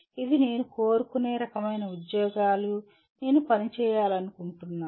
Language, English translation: Telugu, This is the kind of jobs that I would like to, I wish to work on